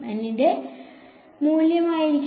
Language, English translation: Malayalam, Value of N will be